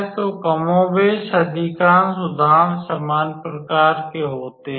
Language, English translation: Hindi, So, more or less most of the examples are of similar types